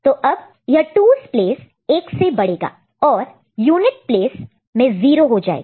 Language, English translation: Hindi, So, 2’s place will get incremented by 1, and 0 will come over here ok